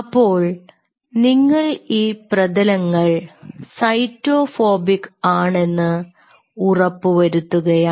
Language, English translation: Malayalam, ok, so you are kind of ensuring that these surfaces are cyto phobic